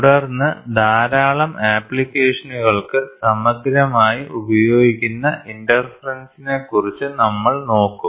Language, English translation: Malayalam, Then, we will look at interference which is exhaustively used lot of applications